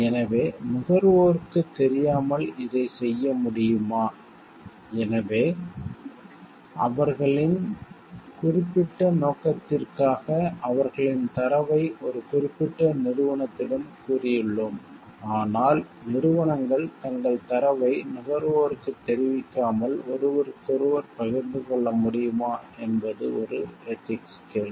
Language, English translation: Tamil, So, whether this can be done without the knowledge of the consumers, so we have said their data to a particular company for their particular purpose, but whether companies can share their data with each other without informing the consumer about it is a ethical question